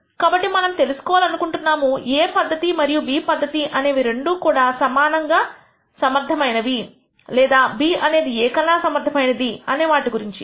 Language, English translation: Telugu, So, we want to know whether method A and method B are both equally effective or method B is more effective than method A